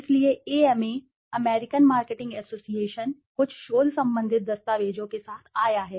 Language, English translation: Hindi, So, the AMA, the American Marketing Association, has come up with some research related documents